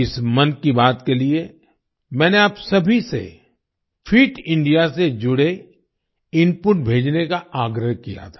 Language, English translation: Hindi, For this 'Mann Ki Baat', I had requested all of you to send inputs related to Fit India